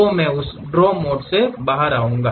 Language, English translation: Hindi, So, I will come out of that draw mode